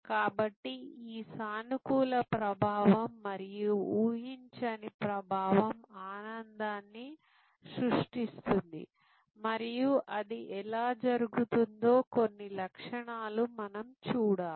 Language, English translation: Telugu, So, this positive affect and unexpected affect that creates the joy and we will have to look at some examples of how that happens